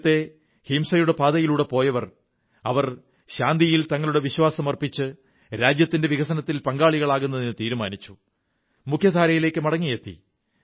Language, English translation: Malayalam, Those who had strayed twards the path of violence, have expressed their faith in peace and decided to become a partner in the country's progress and return to the mainstream